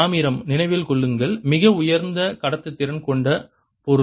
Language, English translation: Tamil, copper, remember, is a very high conductivity ah material